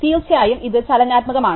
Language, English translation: Malayalam, Of course is this dynamic